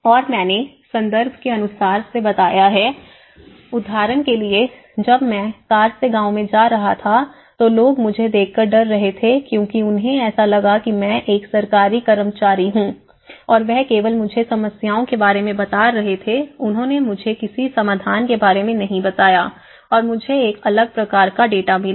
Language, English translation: Hindi, when I approached the village directly in a car and going with, then people were afraid of they thought I was a Government servant and that only talk to me about problems they never talked to me about solutions or their how the things were doing I was getting a different data